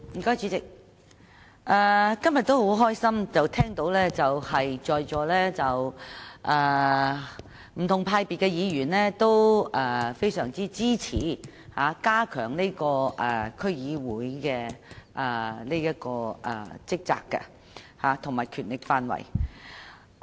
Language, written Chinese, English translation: Cantonese, 主席，今天很高興聽到不同黨派議員均非常支持加強區議會的職責和權力範圍。, President I am pleased to have heard today that Members from different political parties and groupings very much support strengthening the duties and scope of responsibilities of District Councils DC